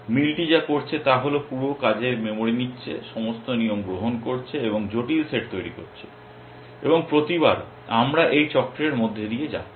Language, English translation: Bengali, What match is doing is taking the full working memory, taking all the rules and producing the complex set and it is doing this every time we are going through this cycle